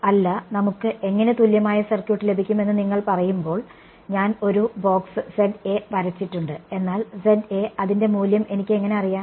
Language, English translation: Malayalam, No when you say how do we get the equivalent circuit I have drawn a box which say Za, but how do I know the value of Za is